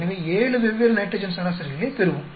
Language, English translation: Tamil, So, we will get 7 different nitrogen averages